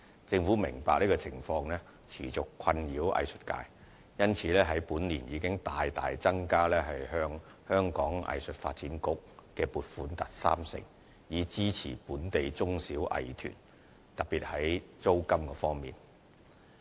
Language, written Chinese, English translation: Cantonese, 政府明白這情況持續困擾藝術界，因此，本年已大大增加對香港藝術發展局的撥款達三成，以支持本地中小藝團，特別在租金方面。, Being mindful of such a persistent headache suffered by the arts sector the Government has drastically increased this years funding for the Hong Kong Arts Development Council by 30 % to support local medium and small arts groups in particular to relieve their rent burdens